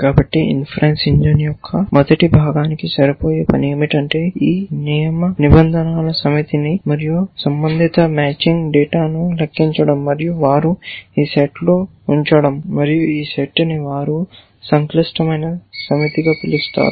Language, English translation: Telugu, So, the task of match this first part of the inference engine is to compute this set of instances of rules and the corresponding matching data and put it into this set which they call is a complex set